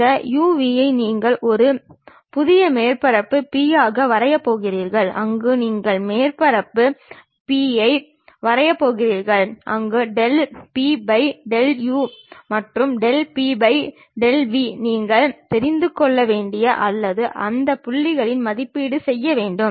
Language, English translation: Tamil, You can think of this u, v as the new coordinate system on which you are going to draw a surface P where del P by del u and del P by del v you need to know or you have to evaluate at that points